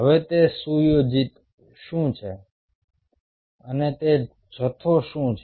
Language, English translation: Gujarati, now, what is that set up and what is that assembly